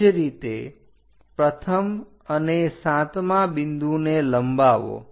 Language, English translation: Gujarati, Similarly, extend 1 and 7th point